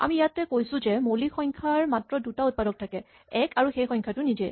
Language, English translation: Assamese, Here, we said that a prime number has only two factors 1 and itself